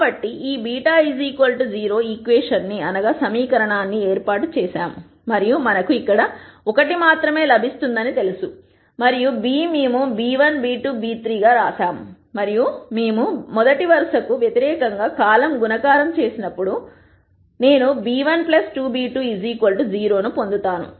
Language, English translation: Telugu, So, we set up this equation A beta equal to 0 and we know we will get only 1 beta here and beta we have written as b 1 b 2 b 3 and when we do the rst row versus column multiplication I will get b 1 plus 2 b 2 equals 0